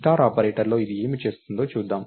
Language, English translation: Telugu, So, in star operator, so lets see what this is doing